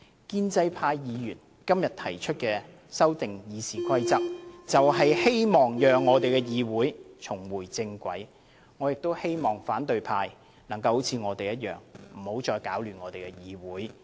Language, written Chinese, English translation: Cantonese, 建制派議員今天提出修改《議事規則》，就是希望讓議會重回正軌，我希望反對派能夠像我們一樣，不要再搗亂議會，大家一起仁者。, Today it is the wish of pro - establishment Members to bring this Council back on the right track by proposing amendments to RoP and we hope that opposition Members would behave like us so as not to disrupt the order of this Council anymore . Let us all become benevolent persons